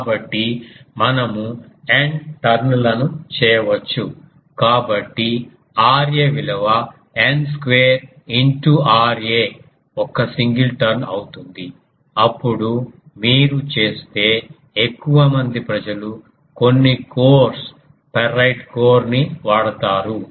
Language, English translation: Telugu, So, we can make that N turns; so, R a will be n square into R a of single turn then also to put more people use some codes ferrite code if you do